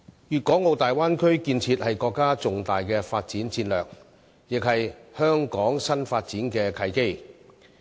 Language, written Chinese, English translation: Cantonese, 粵港澳大灣區建設是國家重大的發展戰略，亦是香港新發展的契機。, The development of the Guangdong - Hong Kong - Macao Bay Area is a key national development strategy and a golden opportunity to inject new impetus to Hong Kongs economy